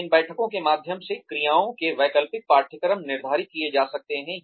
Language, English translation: Hindi, Then, through these meetings, alternative courses of actions can be set